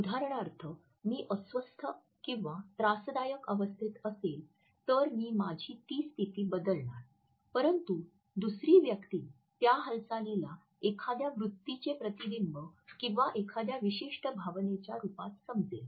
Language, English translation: Marathi, For example, I may be uncomfortable and I am shifting my position, but the other person may understand it as a reflection of an attitude or a certain emotion